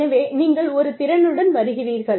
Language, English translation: Tamil, So, you come with a set of skills